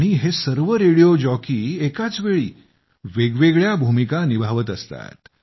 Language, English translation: Marathi, And the radio jockeys are such that they wear multiple hats simultaneously